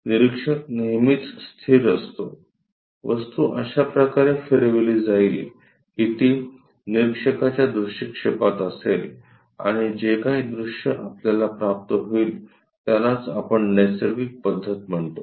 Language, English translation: Marathi, Observer is always be fixed, object will be rotated in such a way that it will be in the view of the observer and whatever the view we get, that we call this natural method